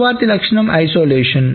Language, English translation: Telugu, The next property is the isolation